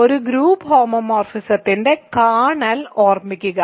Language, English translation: Malayalam, What is a kernel of a group homomorphism